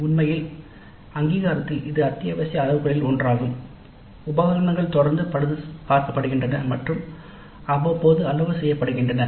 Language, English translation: Tamil, In fact in the accreditation this is one of the essential criteria that the equipment is regularly serviced and calibrated periodically as required